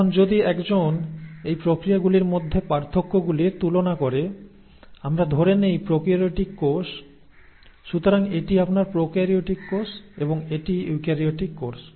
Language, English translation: Bengali, Now if one were to compare the differences in these processes, let us say in a prokaryotic cell; so this is your prokaryotic cell and this is a eukaryotic cell